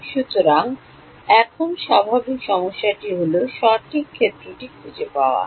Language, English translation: Bengali, So, now the usual problem is to find out the far field right